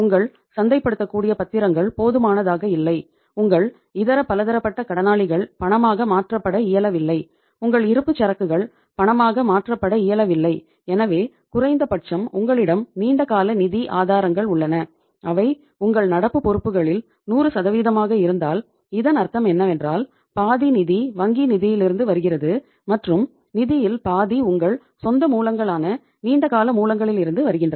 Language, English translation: Tamil, Your marketable securities are not sufficient, your sundry debtors are not convertible into cash, your inventory is not convertible into cash so at least you have long term sources of the funds and if they are 100% of your current liabilities it means half of the funds are coming from the bank finance and half of the funds are coming from the your own other sources, long term sources